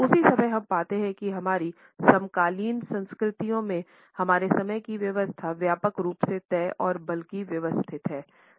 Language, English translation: Hindi, At the same time we find that in our contemporary cultures our arrangement of time is broadly fixed and rather methodical